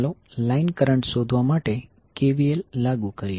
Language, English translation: Gujarati, Now let us apply KVL to find out the line current